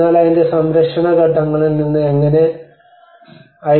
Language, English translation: Malayalam, But then from the conservation point of it how the ICOMOS